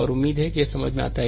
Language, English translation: Hindi, And hope this is understandable to